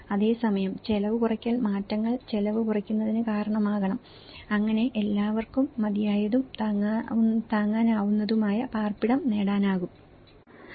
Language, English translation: Malayalam, Whereas, the cost reduction changes must result in cost reduction so that adequate and affordable shelter is attaining for all